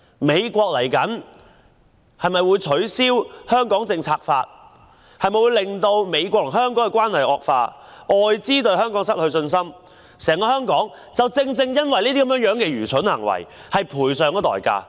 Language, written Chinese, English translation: Cantonese, 美國未來是否會取消《香港政策法》，美國與香港的關係會否惡化，外資會否對香港失去信心，整個香港會否因這愚蠢行為而付上代價？, Will the United States cancel the Hong Kong Policy Act; will the relationship between the United States and Hong Kong aggravate; will foreign investors lose confidence in Hong Kong; will Hong Kong as a whole have to pay a price for such a stupid act?